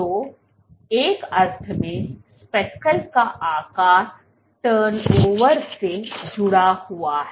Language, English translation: Hindi, So, in a sense speckles size is correlated to turnover